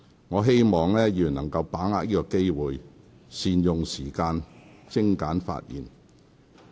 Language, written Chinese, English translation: Cantonese, 我希望議員能把握機會，善用時間，精簡發言。, I urge Members to grasp the opportunity make good use of the time and speak concisely